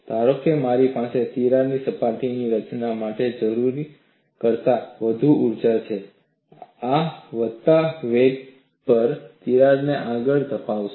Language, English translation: Gujarati, Suppose I have more energy than what is required for the formation of crack surfaces, this would propel the crack at increasing velocities